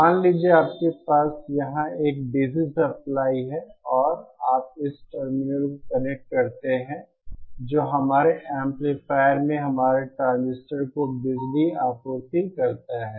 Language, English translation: Hindi, Suppose you have a DC supply here and you connect it to this is see the terminal which supplies power to our transistors in our amplifier